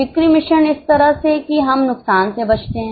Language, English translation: Hindi, Sales mix is such a way that we avoid losses